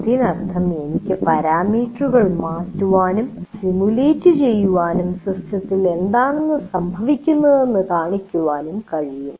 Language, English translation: Malayalam, That means I can change the parameters and simulate and show what happens at the, what comes out of the system